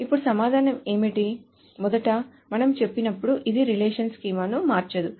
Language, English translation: Telugu, So first of all, when we say that it does not change the relationship schema